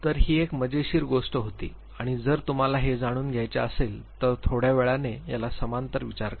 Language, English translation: Marathi, So, this was an interesting thing and, if you want to know draw a parallel little later